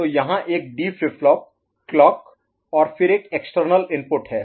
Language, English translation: Hindi, So here is a D flip flip clock and then there is an external input